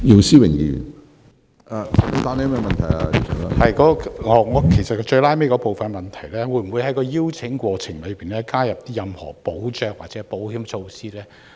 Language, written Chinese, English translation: Cantonese, 主席，我在補充質詢的最後部分詢問局長，會否在邀請海外團體的過程中加入任何保障或保險措施？, President I have asked the Secretary in the last part of my supplementary question whether any safeguarding measures or insurance terms will be incorporated in the process of inviting overseas groups to stage performances in Hong Kong